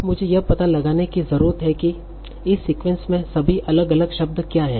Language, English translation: Hindi, Now I need to identify what are all the different words that are there in this sequence